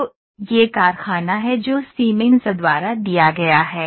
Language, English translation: Hindi, So, this is the factory that is given by Siemens